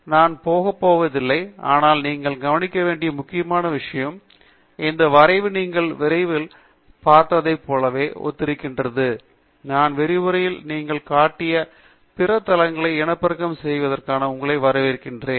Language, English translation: Tamil, I am not going to go into that, but main thing that you should observe is this plot is exactly identical to what you have seen in the lecture and I welcome you to reproduce the other plots that I have shown you in the lecture